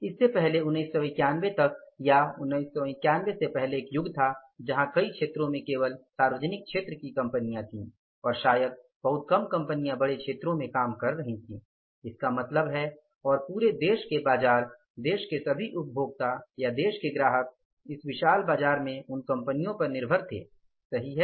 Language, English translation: Hindi, Earlier there was an era, till 1991 or before 1991 where in many sectors only public sector companies were there and maybe very few companies were operating in the larger sectors and means entire the market of the country, all consumers of the country or customers of the country in this market, in this huge market, they were dependent upon those companies